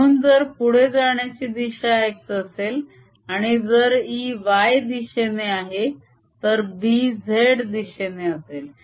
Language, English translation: Marathi, so if this is a direction of propagation x, and if e happens to be in the y direction, then b would be in the z direction